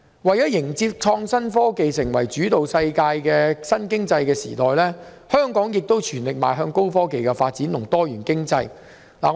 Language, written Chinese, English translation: Cantonese, 為了迎接以創新科技為主導的新經濟時代，香港亦全力邁向高科技及多元經濟發展。, In order to usher in the new economic era led by innovation and technology Hong Kong is also fully geared up for the development of high technologies and diversified economy